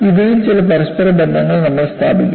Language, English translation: Malayalam, So, we would establish certain interrelationships among this